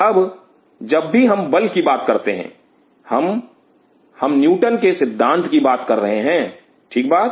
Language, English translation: Hindi, Now whenever we talk about force, we are talking about some Newton value right something